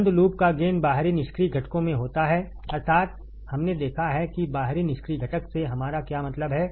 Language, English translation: Hindi, Closed loop gain is in the external passive components, that is, we have seen what do we mean by external passive components